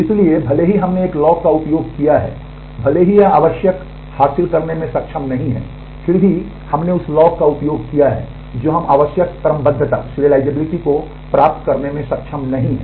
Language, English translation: Hindi, So, even though we have used a lock it has not been able to achieve the required even though, we have used the lock we have not been able to achieve the required serializability